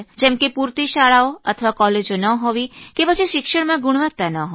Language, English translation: Gujarati, Either the required amount of schools and colleges are not there or else the quality in education is lacking